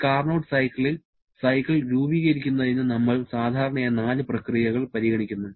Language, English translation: Malayalam, In a Carnot cycle, we generally consider four processes to constitute the cycle